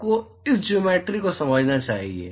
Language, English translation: Hindi, You must understand this geometry